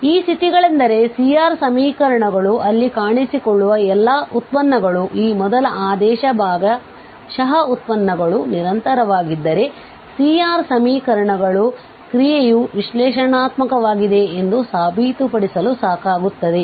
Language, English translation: Kannada, So, these are the conditions that the C R equations all the derivatives appearing there these first order partial derivatives if they are continuous then the C R equations are sufficient to prove to claim that the function is analytic on definitely differentiable